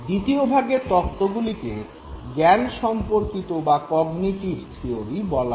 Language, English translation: Bengali, The second set of theories are called cognitive theories